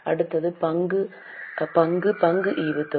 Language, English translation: Tamil, Next is equity share dividend